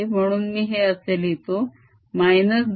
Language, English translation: Marathi, lets write this as l